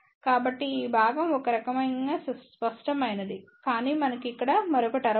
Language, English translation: Telugu, So, this part is kind of obvious, but we have a another term over here